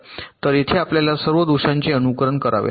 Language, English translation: Marathi, so here also we have to simulate with all the faults